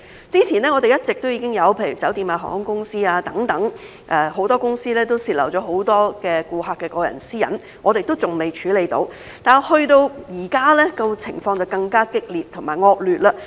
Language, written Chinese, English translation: Cantonese, 之前一直已經有例如酒店、航空公司等多間公司泄漏很多顧客的個人私隱，我們還未處理，但到了現在，情況就更加激烈和惡劣。, Previously there has been leakage of personal data of many customers by some companies such as hotels and airlines which we have not yet dealt with but now the situation is even more intense and worse